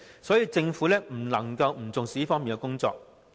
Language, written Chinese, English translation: Cantonese, 所以，政府不能夠不重視這方面的工作。, For this reason the Government cannot possibly make light of the work in this regard